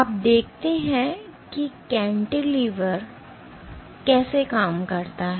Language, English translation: Hindi, Now, let us see how does the cantilever operate